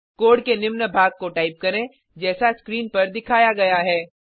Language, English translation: Hindi, Type the following piece of code as shown on the screen